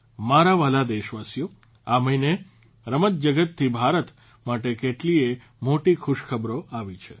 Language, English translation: Gujarati, My dear countrymen, this month many a great news has come in for India from the sports world